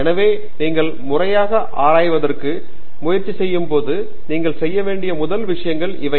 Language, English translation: Tamil, So, these are the first things that you would do when you try formally get into research